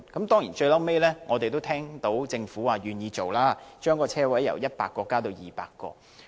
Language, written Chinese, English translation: Cantonese, 當然，我們最後也聽到，政府願意將車位由100個增加至200個。, We ultimately learned that the Government was willing to increase the number of parking spaces from 100 to 200